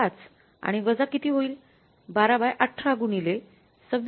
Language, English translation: Marathi, 5 and minus how much it is going to be 12 by 18 into 26